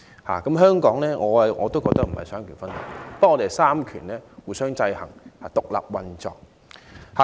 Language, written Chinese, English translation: Cantonese, 我認為香港亦非奉行三權分立，而是三權互相制衡，獨立運作。, I think Hong Kong does not practise separation of powers either . Instead the three powers function separately with checks and balances among one another